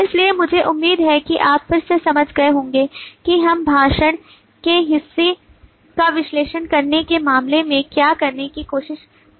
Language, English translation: Hindi, so i hope you have understood again as to what we are trying to do in terms of analyzing the parts of speech